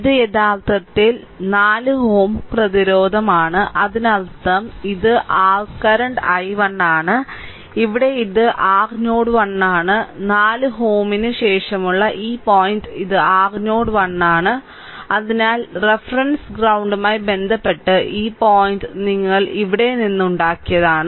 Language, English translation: Malayalam, And this is actually 4 ohm resistance this is 4 ohm; that means, these one right and this is your current i 1 and here here this is your node 1 this point this point after 4 ohm this is your node one